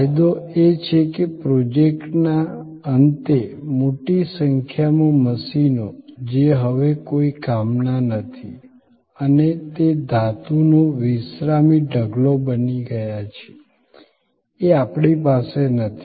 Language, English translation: Gujarati, The advantage is that, we do not have at the end of the project; a large number of machines which are of no longer of any use and that became a resting heap of metal